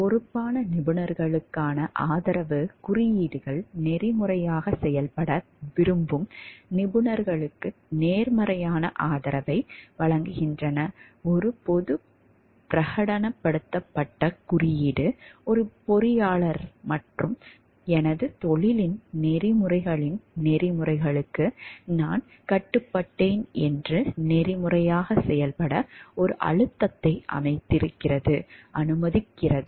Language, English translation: Tamil, Support for responsible professionals; codes give positive support to professionals seeking to act ethically, a public proclaimed code allows an engineer and a pressure to act unethically to say I am bound by the code of ethics of my profession